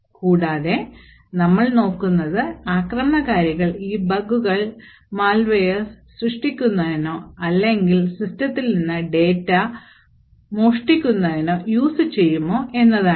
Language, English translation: Malayalam, So, you will be looking at bugs in the system, and how an attacker could utilise these bugs to create malware or create exploits that could be introduced into your system and then could run and steal data in your system